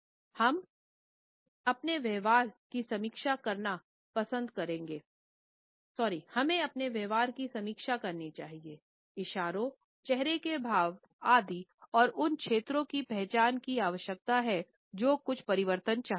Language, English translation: Hindi, We should review our own mannerism, postures, gestures, gait, facial expressions, tonality etcetera and consciously identify those areas which requires certain change